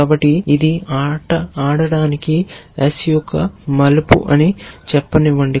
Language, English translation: Telugu, So, let a say this one is turn to play S